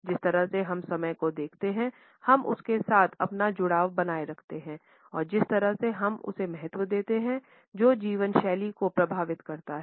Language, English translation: Hindi, The way we look at time, we maintain our association with it and the way we value it, affects the lifestyle